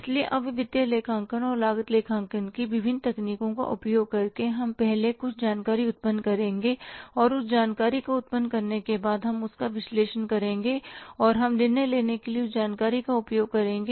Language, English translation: Hindi, So, now by using the different techniques of the financial accounting and the cost accounting, we will first generate some information and after generating that information, we will analyze it and we will use that information for the decision making